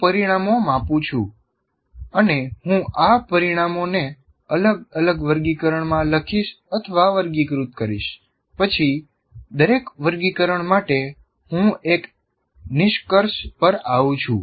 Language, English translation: Gujarati, I'm measuring the results and I'll write, classify these results into different categories and then for each category I come to a conclusion